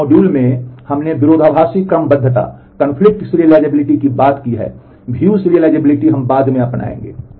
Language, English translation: Hindi, In this module we have talked of conflict serializability, view serializability we will take up later on